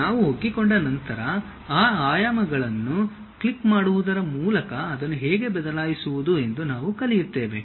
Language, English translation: Kannada, Once we are acclimatized we will learn how to change those dimensions by clicking it and change that